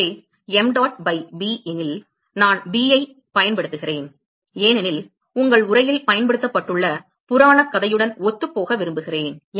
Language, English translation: Tamil, So, if mdot by b, I am using b, because I want to consistent with the legend that is used in your text